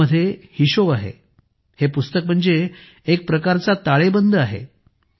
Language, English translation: Marathi, With accounts in it, this book is a kind of balance sheet